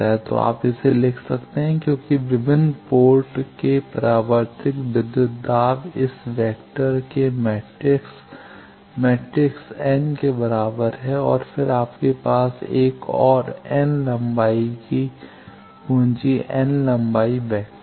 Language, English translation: Hindi, So, you can write it as the various port reflected voltages this vector is equal to this matrix square matrix n by n matrix and then you have another n length capital n length vector